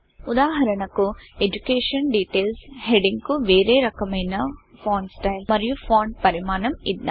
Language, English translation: Telugu, For example, let us give the heading, Education Details a different font style and font size